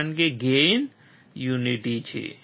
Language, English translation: Gujarati, Because the gain is unity